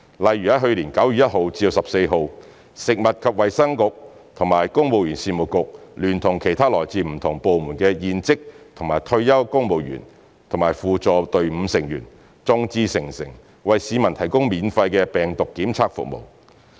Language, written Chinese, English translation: Cantonese, 例如去年9月1日至14日，食物及衞生局與公務員事務局聯同其他來自不同部門的現職及退休公務員和輔助隊伍成員，眾志成城，為市民提供免費的病毒檢測服務。, For example during 1 to 14 September last year free virus testing service was provided for the public with the help and synchronized endeavours made by the Food and Health Bureau the Civil Service Bureau other serving and retired civil servants from different departments and supporting staff with the spirit of working as one